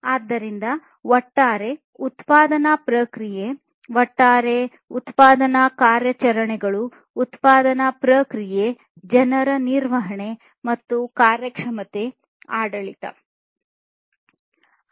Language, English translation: Kannada, So, overall production process basically, production operations of the overall production process, people management and performance governance